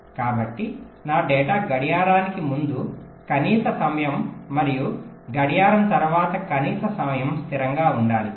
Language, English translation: Telugu, so my data must be kept stable a minimum time before the clock and also minimum time after the clock